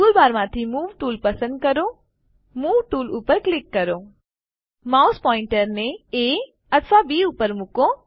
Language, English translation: Gujarati, Select the Move tool from the tool bar, click on the Move tool Place, the mouse pointer on A or on B